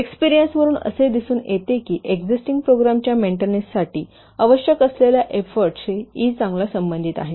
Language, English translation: Marathi, The experience show that E is well correlated to the effort which is needed for maintenance of an existing program